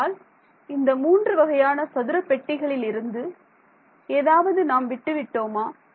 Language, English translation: Tamil, So, from these three sort of square boxes is there something that is missing still